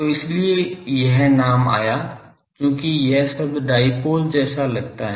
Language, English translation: Hindi, So, that is why this name came that this terms they look like the dipole term